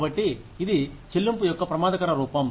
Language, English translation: Telugu, So, that is an, at risk form of pay